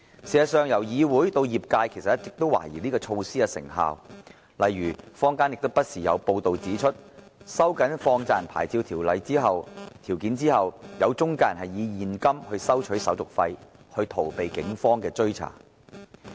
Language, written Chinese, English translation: Cantonese, 事實上，議會以至業界一直也懷疑這措施的成效，例如坊間不時有報道指出，在收緊放債人牌照條件後，有些中介人以現金收取手續費以逃避警方追查。, As a matter of fact the Legislative Council and the industry have all along doubted the effectiveness of this measure . For instance time and again there have been reports in the community that after the licensing conditions for money lenders were tightened some intermediaries requested handling fees in cash to avoid being tracked down by the Police